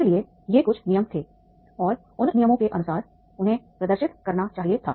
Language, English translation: Hindi, So there were the certain rules were there and according to those rules they were supposed to demonstrate